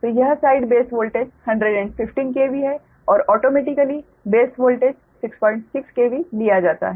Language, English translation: Hindi, so this side base voltage is one one fifteen k v and automatically base voltage six point six k v is taken